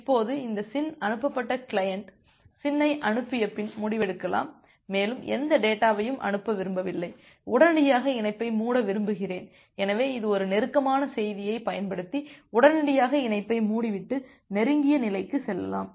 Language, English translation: Tamil, Now from this SYN state sent state client can decide after sending the SYN that I do not want to send any more data want to immediately close the connection, so it may use a close message to close the connection immediately and move to the close state